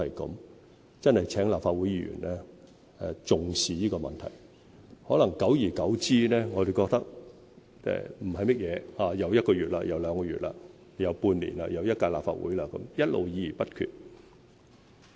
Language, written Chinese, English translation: Cantonese, 我真的請立法會議員重視這個問題，可能久而久之，我們覺得不是甚麼一回事，轉眼又一個月、又兩個月、又半年、又一屆立法會，一直議而不決。, I earnestly urge Members of the Legislative Council to attach importance to this problem . Maybe as time passes we consider this problem insignificant . One month two months or six months will pass quickly and the legislative session will soon end yet we may be still engaging in discussions without making any decision